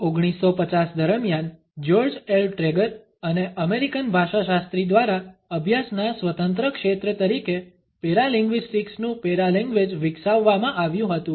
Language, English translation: Gujarati, Paralanguage of paralinguistics, as an independent field of study was developed by George L Trager and American linguist during the 1950